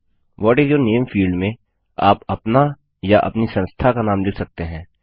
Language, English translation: Hindi, In the What is your name field, you can type your name or your organisations name